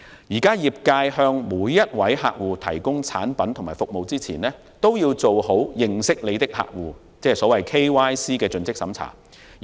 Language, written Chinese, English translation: Cantonese, 業界現時向每位客戶提供產品和服務前，均須做好認識你的客戶)的盡職審查。, Now when financial institutions provide products or services to clients they have to follow a Know Your Client KYC due diligence procedure